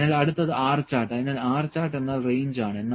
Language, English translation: Malayalam, So, next is R chart; so, R chart is range, range like I said, what is range